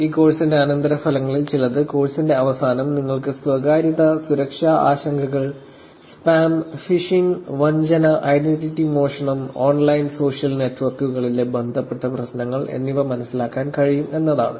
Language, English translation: Malayalam, Some of the post conditions for this course is going to be at the end of the course, you will be able to appreciate various privacy and security concerns, spam, phishing, fraud, identity theft and related issues on online social networks